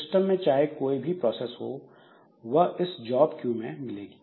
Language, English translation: Hindi, So, whatever processes are there in the system, so everything is there in the job queue